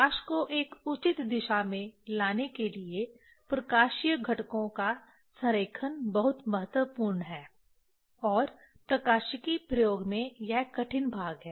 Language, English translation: Hindi, To get the light in a proper direction, alignment of the optical components are very important and that is the difficult part in the optics experiment